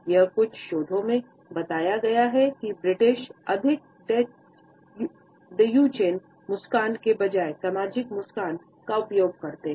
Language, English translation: Hindi, It is pointed out in certain researches that the British are more likely to use the social smile instead of the Duchenne smile